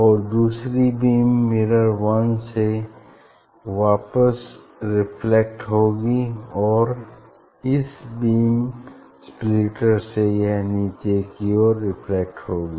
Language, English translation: Hindi, these will be reflected back from the mirror M 1 and from this beam splitter it will be reflected downward